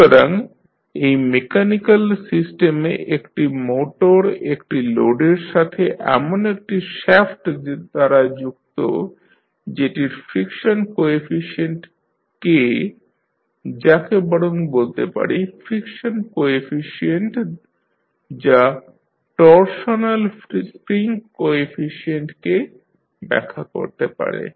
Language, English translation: Bengali, So, in this mechanical system we have one motor connected to a load through shaft which has the friction coefficient as we will rather say stiffness coefficient as K which defines the torsional spring coefficient